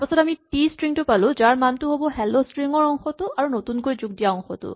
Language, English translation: Assamese, Then we get a string t, whose value is the part that was in hello plus the part that was added